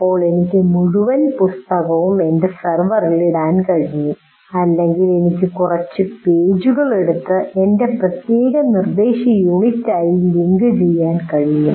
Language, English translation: Malayalam, Now I can put the entire book on that, onto the, what do you call, on my server, or I can only take that particular few pages and link it with my particular instructional unit